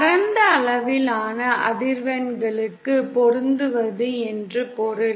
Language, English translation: Tamil, It means matching for a wide range of frequencies